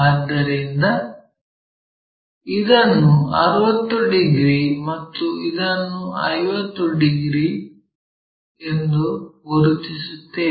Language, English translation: Kannada, So, let us mark that 60 degrees and this is 50 degrees